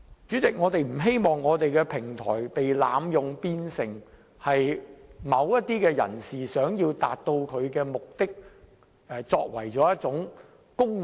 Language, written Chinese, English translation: Cantonese, 主席，我不希望我們的平台被濫用，淪為某些人為求達到目的而利用的工具。, President I do not want to see our platform being abused and degenerated into a tool to be manipulated for achieving certain objectives